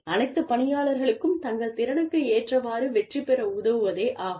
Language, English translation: Tamil, It is to help, all the employees, succeed, to the best of their ability